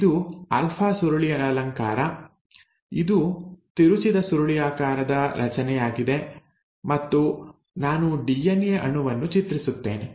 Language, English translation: Kannada, It is an alpha helix, it is a twisted helical structure and; so let me draw DNA molecule